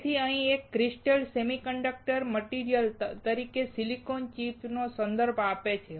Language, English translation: Gujarati, So, a single crystal here refers to a silicon chip as the semiconductor material